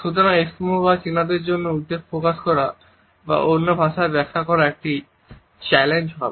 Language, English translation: Bengali, Thus, would be a challenge for Eskimos or the Chinese to express anxiety or interpret it in other